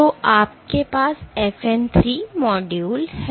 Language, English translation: Hindi, So, you have FN 3 module